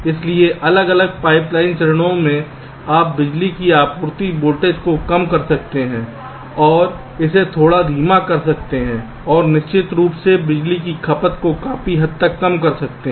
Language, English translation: Hindi, so the different pipe line stages: you can reduce the power supply voltage also ok, to make it a little slower and, of course, to reduce the power consumption